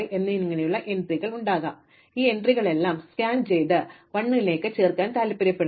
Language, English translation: Malayalam, So, we will have these entries and we want to scan all of these and then add up all the 1s